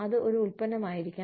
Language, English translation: Malayalam, It could be a product